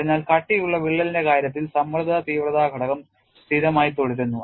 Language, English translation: Malayalam, So, in the case of a through the thickness crack stress intensity factor remain constant